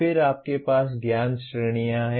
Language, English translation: Hindi, Then you have knowledge categories